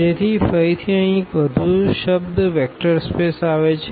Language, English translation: Gujarati, So, again one more term here the vector space has come